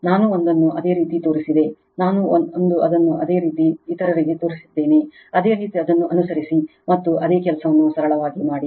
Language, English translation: Kannada, One I showed it for you, one I showed it for you other you follow it and do the same thing the simple thing